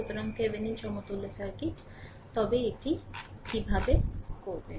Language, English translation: Bengali, So, this is that Thevenin equivalent circuit, but how to do it